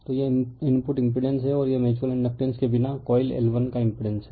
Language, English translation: Hindi, So, this is input impedance and this is the impendence of the coil 1 without mutual inductance right